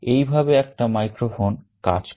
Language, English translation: Bengali, This is how a microphone works